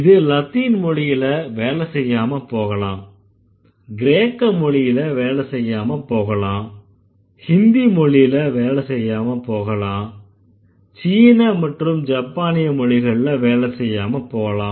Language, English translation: Tamil, It may not work for Latin, it may not work for Greek, it may not work for Hindi, it may not work for Chinese or Japanese